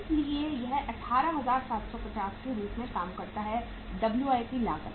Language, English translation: Hindi, So this works out as 18750 is the WIP cost